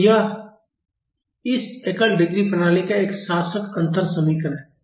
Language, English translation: Hindi, So, this is the governing differential equation of this single degree of freedom system